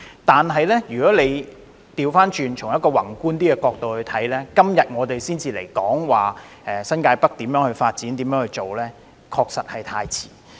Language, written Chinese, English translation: Cantonese, 但是，如果反過來從較宏觀的角度看，我們今天才討論如何發展新界北，確實是太遲。, But if we look from a broader perspective it is actually too late for us to discuss how to develop New Territories North only until today